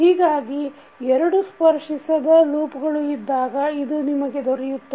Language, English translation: Kannada, So, this what you will get when you have two non touching loops